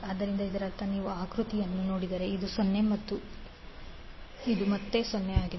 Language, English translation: Kannada, So that means if you see the figure this is 0 and this is again 0